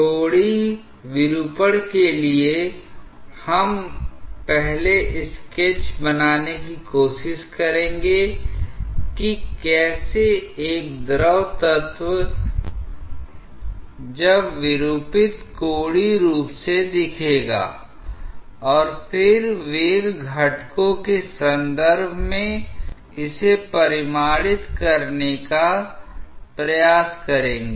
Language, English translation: Hindi, For the angular deformation, we will try to first sketch that how a fluid element when deformed angularly will look and then try to quantify it in terms of the velocity components